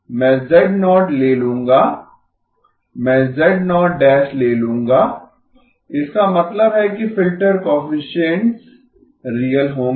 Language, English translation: Hindi, I will take z0, I will take z0 conjugate, so that means the so that the filter coefficients will be real